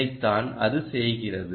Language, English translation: Tamil, thats what it will do